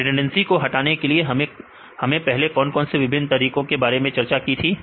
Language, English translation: Hindi, What are the various methods we discuss earlier to reduce redundancy